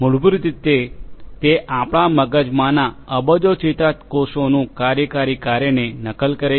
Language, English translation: Gujarati, Basically, it mimics the working function of billions of neurons in our brain deep